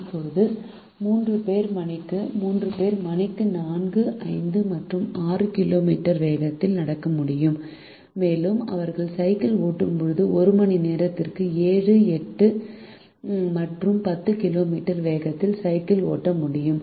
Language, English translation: Tamil, now the three people can walk at speeds four, five and six kilometers per hour and they can ride the bicycle at seven, eight and ten kilometers per hour